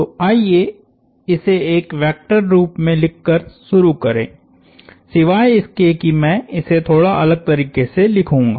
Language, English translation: Hindi, So, let us start by writing that in a vector form, except I will write it slightly differently